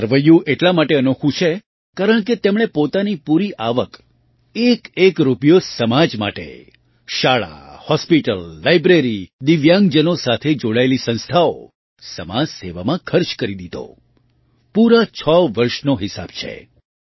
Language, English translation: Gujarati, This Balance Sheet is unique because he spent his entire income, every single rupee, for the society School, Hospital, Library, institutions related to disabled people, social service the entire 6 years are accounted for